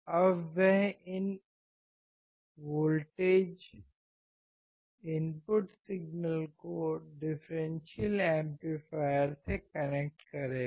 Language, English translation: Hindi, Now he will connect this voltages, input signals to the differential amplifier